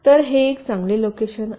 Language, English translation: Marathi, so this is a good placements